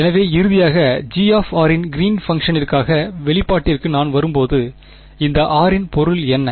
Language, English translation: Tamil, So, finally, by the time I come to the expression for Green’s function over here G of r, what is the meaning of this r